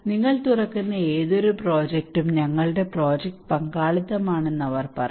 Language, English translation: Malayalam, Any project you open they would say that our project is participatory